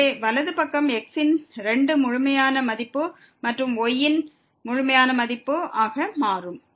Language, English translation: Tamil, So, the right hand side will become 2 absolute value of and absolute value of